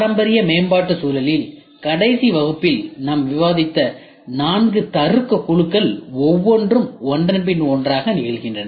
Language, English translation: Tamil, In the traditional development environment each of the four logical groups which we discussed in the last class occurs sequentially one after the other after the other after the other